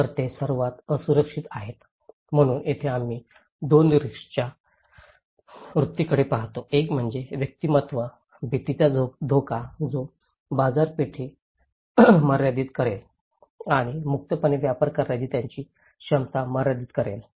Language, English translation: Marathi, So, they are the most vulnerable so here, we look at the attitude of 2 risk; one is individualistic, the fear risk that would limit the market and constraints their ability to trade freely